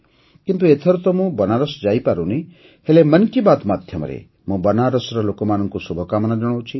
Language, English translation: Odia, This time I'll not be able to go to Kashi but I am definitely sending my best wishes to the people of Banaras through 'Mann Ki Baat'